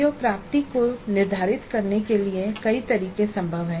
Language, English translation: Hindi, Now there are several methods possible for setting the CO attainment